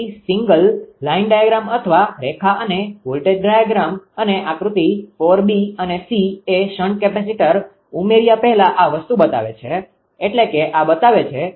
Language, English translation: Gujarati, So, the single line diagram or line and voltage to the diagram and before the addition of the shunt capacitor and figure 4 b and d shows them after the this thing